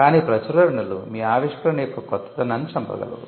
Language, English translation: Telugu, But publications are also capable of killing the novelty of your invention